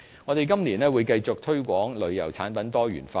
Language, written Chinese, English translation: Cantonese, 我們今年會繼續推廣旅遊產品多元化。, We will continue to promote our great variety of tourism products this year